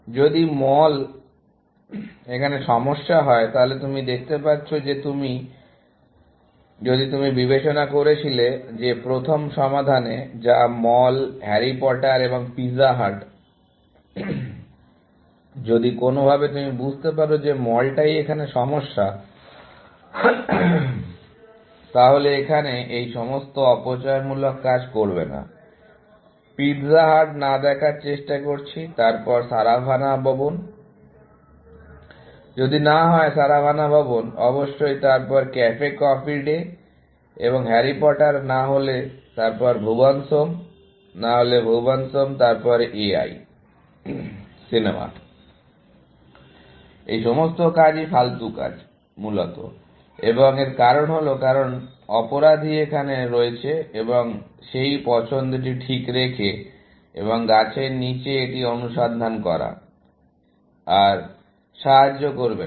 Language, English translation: Bengali, If mall was the problem, then you can see that if in the first solution that you considered, which is mall, Harry Potter and Pizza hut; if somehow, you could figure out that mall is the problem, then you would not do all these wasteful work, here; trying to see if not pizza hut; then, Saravanaa Bhavan, if not Saravanaa Bhavan, of course, then, Cafe Coffee Day; and if not Harry Potter; then, Bhuvan’s Home, if not Bhuvan’s Home; then, A I, the movie; all these work is wasted work, essentially, and the reason is, because the culprit is here, and keeping that choice fixed, and search it below the tree, is not going to help, any longer